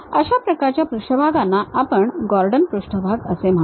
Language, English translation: Marathi, That kind of surfaces what we call Gordon surfaces